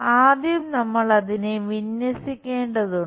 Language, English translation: Malayalam, So, first we have to align it